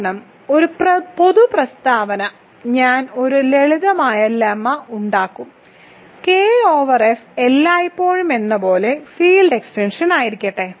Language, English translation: Malayalam, This is because a general statement I will make a simple lemma, let K over F be a field of extension as always um